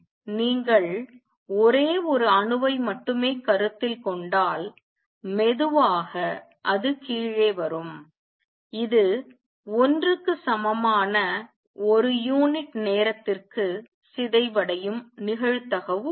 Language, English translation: Tamil, Slowly it comes down if you consider only 1 atom it has a probability of decaying per unit time which is equal to 1